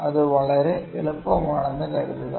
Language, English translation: Malayalam, Think it is very easy